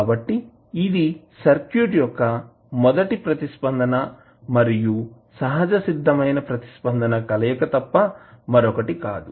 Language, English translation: Telugu, So, this is nothing but a combination of first response and natural response of the circuit